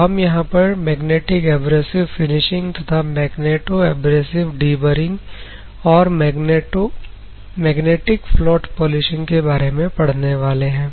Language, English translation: Hindi, We are going to study Magnetic Abrasive Finishing, Magneto Abrasive Deburring, Magnetic Float Polishing